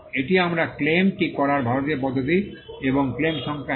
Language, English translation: Bengali, This is the Indian way of doing it we claim and the claim number 1